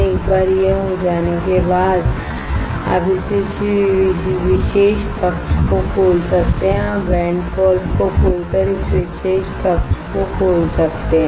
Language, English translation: Hindi, Once it is done you can open this particular chamber you can open this particular chamber by opening the vent valve